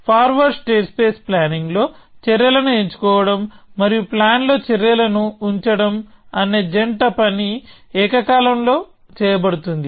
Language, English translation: Telugu, In forward state space planning, the twin task of choosing actions and placing actions in the plan are done simultaneously